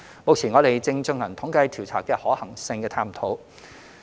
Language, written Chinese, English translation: Cantonese, 目前，我們正進行統計調查的可行性探討。, At present we are exploring the feasibility of conducting such a survey